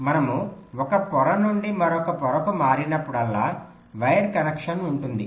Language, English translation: Telugu, so whenever we switch from one layer to another layer, there is a wire connection